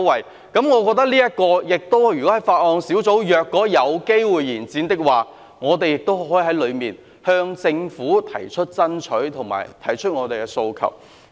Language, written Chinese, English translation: Cantonese, 我認為，如果這5項附屬法例的修訂期限有機會延展，我們亦可以在法案委員會向政府提出爭取及訴求。, In my view if the period for amending these five items of subsidiary legislation can be extended we can raise our requests and aspirations to the Government in the Bills Committee